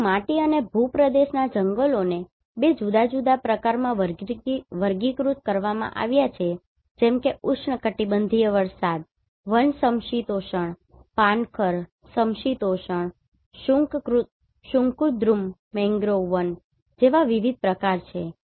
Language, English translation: Gujarati, Whether soil and terrain forests are classified in two different types like tropical rain forest temperate, deciduous, temperate coniferous mangrove forest so there are different types